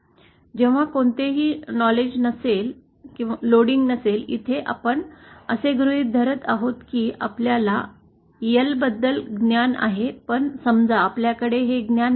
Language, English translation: Marathi, Here we are assuming that we have knowledge about L but suppose we do not have knowledge